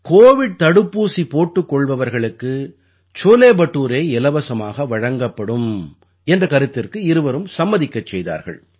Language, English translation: Tamil, Both requested him to feed cholebhature for free to those who had got the COVID Vaccine